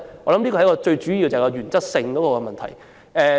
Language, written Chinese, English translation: Cantonese, 我相信這是最主要的原則問題。, I believe this touches on a matter of major principle